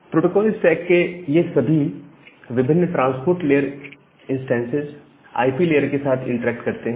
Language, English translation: Hindi, Now, all these different transport layer instances of the protocol stack that interact with the IP layer